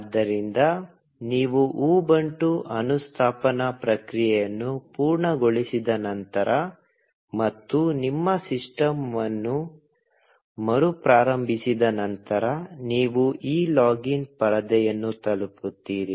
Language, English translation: Kannada, So, after you have completed the installation process of Ubuntu, and restarted your system, you will reach this login screen